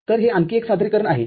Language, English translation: Marathi, This is another representation